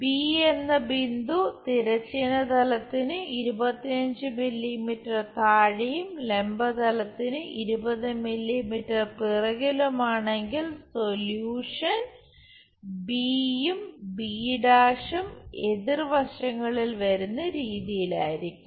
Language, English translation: Malayalam, If point B is 25 mm below horizontal plane 20 mm behind VP, the solution will be b and b’ will be on the opposite sides